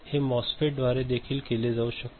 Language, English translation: Marathi, It can be done through MOSFET also right